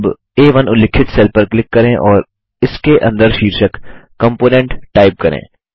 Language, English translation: Hindi, Now click on the cell referenced as A1 and type the heading COMPONENT inside it